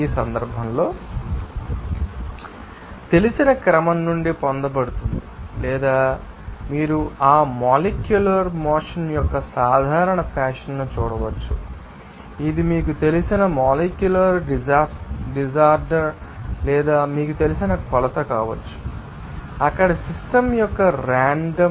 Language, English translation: Telugu, Because in this case this work is obtained from the order of that you know order or you can see regular fashion of that molecular motion and also this can be a measure of that you know, molecular disorder or you know, randomness of the system there